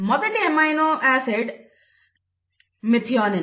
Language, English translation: Telugu, The first amino acid is methionine